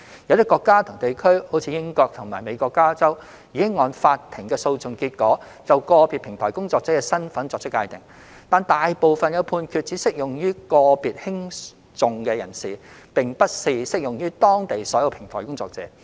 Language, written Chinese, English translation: Cantonese, 有些國家及地區如英國及美國加州，已按法庭的訴訟結果，就個別平台工作者的身份作出界定；但大部分判決只適用於個別興訟人士，並不是適用於當地所有平台工作者。, Some countries and regions such as the United Kingdom and California in the United States have defined the status of individual platform workers in accordance with court rulings; however most of the rulings only applied to individual litigants but not all platform workers in the relevant jurisdictions